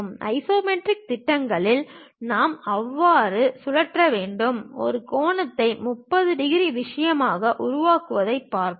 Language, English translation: Tamil, In the isometric projections, we have to rotate in such a way that; we will see this angle whatever it is making as 30 degrees thing